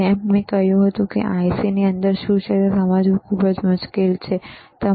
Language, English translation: Gujarati, Llike I said, it is very difficult to understand what is within the IC, right